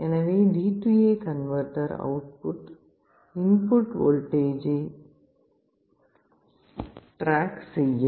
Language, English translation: Tamil, So, the D/A converter output will try to track the input voltage